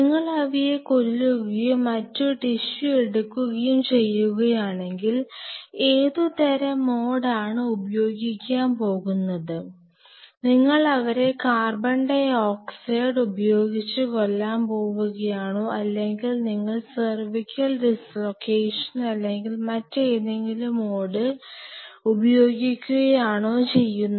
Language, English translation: Malayalam, If you are sacrificing and taking other tissue what kind of mode are you going to use, are you going to kill them by carbon dioxide or you will be doing something called cervical dislocation or you will be using something some other mode